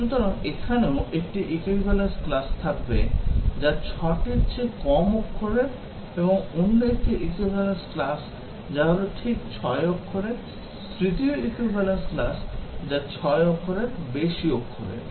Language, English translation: Bengali, So, here also, we will have 1 equivalence class, which is less than 6 characters and another equivalence class which is exactly 6 characters; third equivalence class, which is more than 6 characters